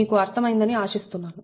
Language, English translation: Telugu, hope you have understood right